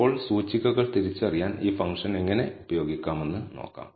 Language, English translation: Malayalam, Now, let us see how to use this function to identify the indices